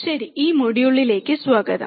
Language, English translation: Malayalam, Alright, welcome to this module